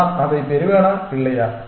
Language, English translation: Tamil, Will I get that or not